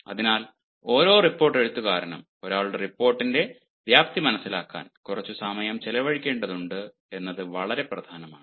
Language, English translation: Malayalam, hence, it is quite significant let every report writer should spend some time in understanding the scope of ones report